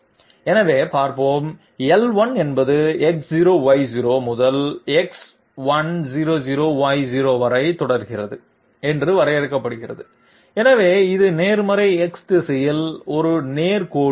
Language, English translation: Tamil, So let s see, L1 is being defined to be so starting from X0Y0 to X100Y0, so it is a straight line along the positive X direction